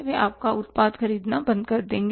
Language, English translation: Hindi, They will stop buying your product